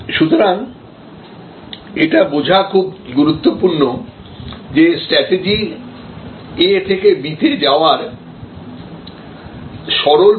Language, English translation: Bengali, So, therefore, very important to understand that strategy is not a linear A to B process